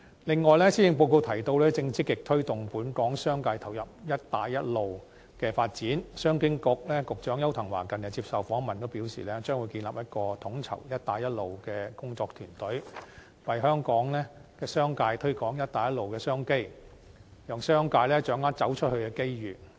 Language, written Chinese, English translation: Cantonese, 此外，施政報告提到，正積極推動本港商界投入"一帶一路"的發展，商務及經濟發展局局長邱騰華近日接受訪問時表示，將會建立一個統籌"一帶一路"的工作團隊，為香港商界推廣"一帶一路"商機，讓商界掌握"走出去"的機遇。, In addition the Policy Address says that the Government is actively encouraging the commercial sector of Hong Kong to participate in the development of the Belt and Road Initiative . In a recent interview Secretary for Commerce and Economic Development Edward YAU indicated that a working team would be established to coordinate the Belt and Road Initiative so as to promote business opportunities arising from the Belt and Road Initiative among the commercial sector of Hong Kong and enable them to grasp opportunities to go global